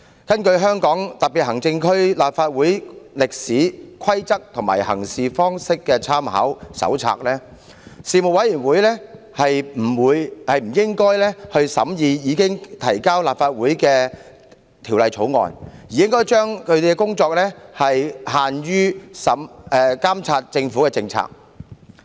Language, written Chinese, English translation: Cantonese, 根據《香港特別行政區立法會歷史、規則及行事方式參考手冊》，事務委員會不應審議已提交立法會的法案，而應將其工作範圍規限於監察政府的政策事宜。, According to A Companion to the history rules and practices of the Legislative Council of the Hong Kong Special Administrative Region a Panel should not scrutinize bills that have been tabled in the Council as it should confine its terms of reference to monitoring the Governments policy matters